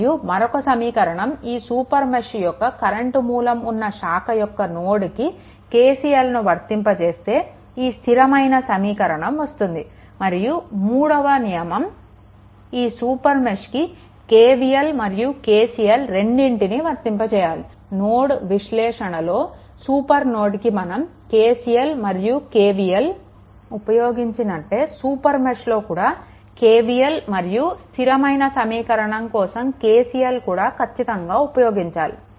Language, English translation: Telugu, So, and that and another thing is in the super mesh you have to apply KCL and that is applied and this is the constant equation right, let me clear it and the third one is super mesh require the application of both KVL and KCL because like your nodal analysis also we have seen super node KVL and KCL here also KVL is required at the same time the constant equation here is KCL, right that is must, right